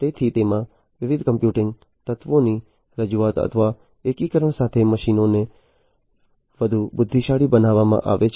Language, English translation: Gujarati, So, machines have been made much more intelligent with the introduction of or integration of different computing elements into it